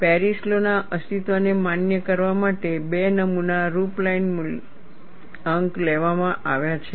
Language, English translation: Gujarati, Two specimen configurations have been taken to validate the existence of Paris law